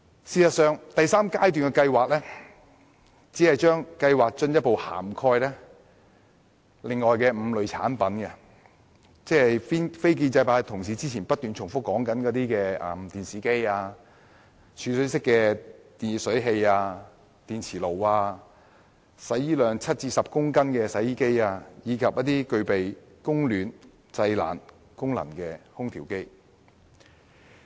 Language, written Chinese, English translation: Cantonese, 事實上，第三階段只是進一步涵蓋另外5類產品，即非建制派同事之前不斷重提的電視機、儲水式電熱水器、電磁爐、額定洗衣量介乎7至10公斤的洗衣機，以及具備供暖及製冷功能的空調機。, In fact the third phase merely covers five additional types of products namely televisions storage type electric water heaters induction cookers washing machines with rated washing capacity exceeding 7 kg but not exceeding 10 kg and air conditioners with both heating and cooling functions that non - establishment colleagues kept mentioning earlier